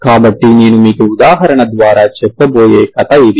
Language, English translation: Telugu, So this is the example i will tell you story